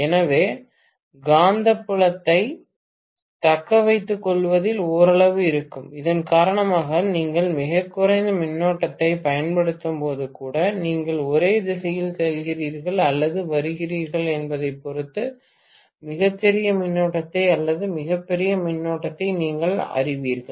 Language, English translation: Tamil, So, there will be some amount of retention of the magnetic field because of which even when you are applying very very minimal current, you may get the you know much smaller current or much larger current depending upon you are going in the same direction or coming back in the opposite direction